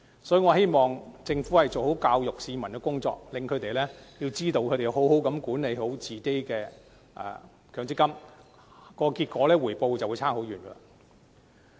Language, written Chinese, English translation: Cantonese, 所以，我希望政府可以做好教育市民的工作，令他們明白只要妥善管理自己的強積金戶口，所得的回報自然會大不相同。, For this reason I hope the Government can do a better job of educating the public so that they can understand that better management of their MPF accounts will naturally yield very different returns